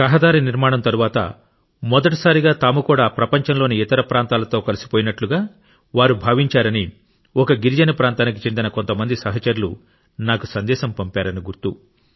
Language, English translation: Telugu, I remember some friends from a tribal area had sent me a message that after the road was built, for the first time they felt that they too had joined the rest of the world